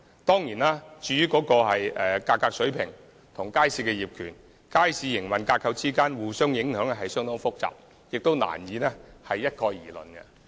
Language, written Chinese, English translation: Cantonese, 當然，價格水平與街市業權、街市營運架構的關係，是相當複雜的問題，難以一概而論。, Of course the relationship between price level and market ownership or operational structure are highly complex rendering it difficult to casually generalize the phenomenon